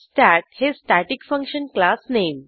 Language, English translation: Marathi, Here we have a static function stat